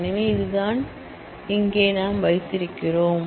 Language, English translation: Tamil, So, this is what we have here